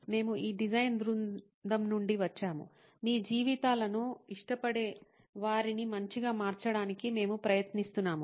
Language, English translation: Telugu, We are from this design team, we are trying to make people like your lives better